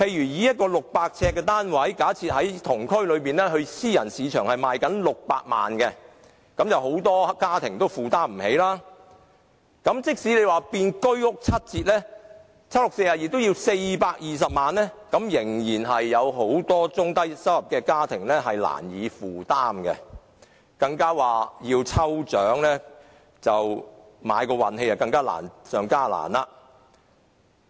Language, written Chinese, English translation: Cantonese, 以一個600呎單位為例，同區私人市場的樓宇單位賣600萬元，很多家庭均無法負擔，即使居屋以七折價發售，也要420萬元，很多中低收入家庭仍然難以負擔，而要抽籤碰運氣，更是難上加難。, Take a 600 - sq - ft flat as an example . A flat of the same size in the same district will be sold for 6 million in the private market which is unaffordable for many families . Even for a HOS flat that is sold at a 30 % discount it still costs 4.2 million which is unaffordable for many low to medium income families